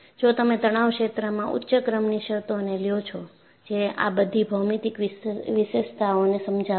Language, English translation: Gujarati, If you take higher order terms in the stress field, which would explain, all these geometric features